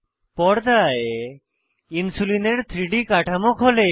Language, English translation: Bengali, 3D Structure of Insulin opens on screen